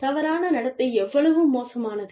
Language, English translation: Tamil, How bad, is the misconduct